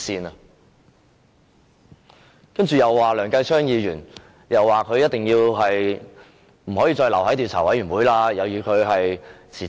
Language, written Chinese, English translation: Cantonese, 他們又說梁繼昌議員一定不可以留在專責委員會，要他辭職。, The pro - establishment Members said that Mr Kenneth LEUNG should definitely not stay in the Select Committee and they demanded for his resignation